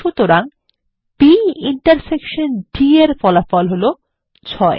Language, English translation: Bengali, So the result of B intersection D is 6